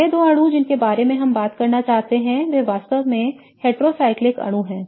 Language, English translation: Hindi, The next two molecules that we want to talk about are really heterocyclic molecules